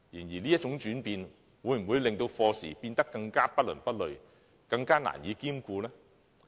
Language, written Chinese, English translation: Cantonese, 然而，這種轉變會否令課程變得更不倫不類，更難以兼顧呢？, However will such changes make the curriculum neither fish nor fowl and even harder for students to study both subjects?